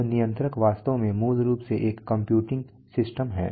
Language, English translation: Hindi, Now the controller is actually a basically a computing system